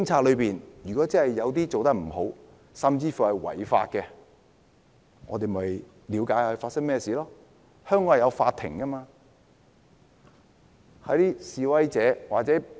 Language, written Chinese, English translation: Cantonese, 如果真的有警察做得不好，甚至違法，我們應該了解發生甚麼事情，交由法庭處理。, If some police officers have not done a good job or may have even violated the law we should understand what happened and leave such cases to the court